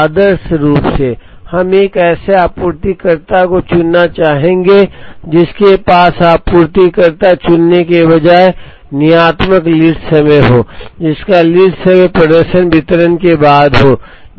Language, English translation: Hindi, Ideally, we would like to choose a supplier, who has a deterministic lead time rather than choosing a supplier, whose lead time performance follows a distribution